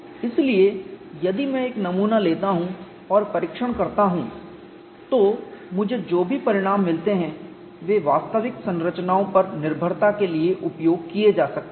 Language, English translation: Hindi, So, if I take a sample and test, whatever the results I get that could be dependably used for actual structures